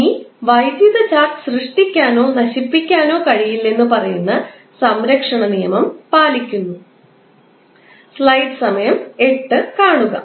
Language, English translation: Malayalam, Now, the electric charge follows the law of conservation, which states that charge can neither be created nor can be destroyed